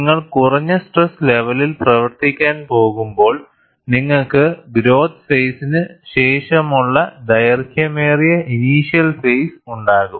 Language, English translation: Malayalam, When you are going to operate at lower stress levels, you will have a longer initiation phase, followed by growth phase